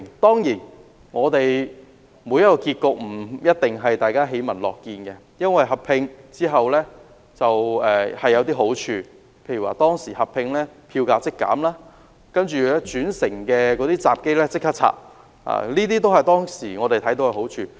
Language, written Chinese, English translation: Cantonese, 當然，每個結果也不一定是大家喜聞樂見的，但兩鐵合併後亦有好處，例如合併後票價即減、轉乘閘機被拆掉，這些都是我們當時看到的好處。, Of course not every outcome is welcomed by us all but the merger has its benefits . For instance the ticket fares were lowered after the merger and the entry and exit ticket gates that separated the two railway systems were removed . These are the benefits that we noticed at that time